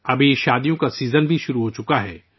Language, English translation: Urdu, The wedding season as wellhas commenced now